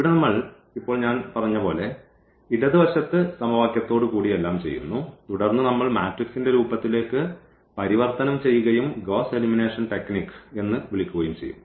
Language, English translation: Malayalam, So, here what we do now that the left hand side with the equations as I said also everything with the equation and then we will translate into the form of this matrix and so called the Gauss elimination technique